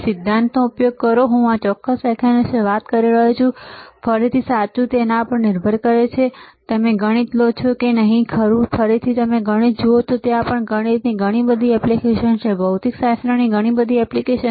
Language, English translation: Gujarati, So, use theory understand theory, I am talking about this particular lecture, again, right it depends on if you if you take a mathematics, right, again if you see mathematics also there is a lot of application of mathematics lot of application of physics lot of application of chemistry, right